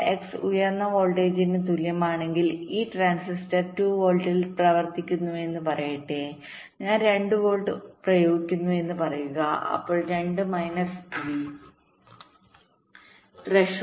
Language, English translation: Malayalam, but if x equals to high voltage, lets see, lets say this transistor is working at two volts, lets say i apply two volts, then the output will be two minus v threshold